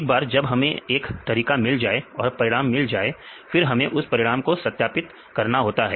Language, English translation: Hindi, Once we get this method and get the result then we need to validate